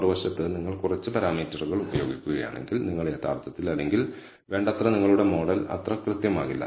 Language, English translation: Malayalam, On the other hand, if you use less parameters, you actually or not sufficiently your model is not going to be that accurate